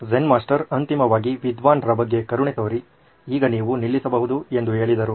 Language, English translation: Kannada, Zen Master finally took pity on scholar and said now you may stop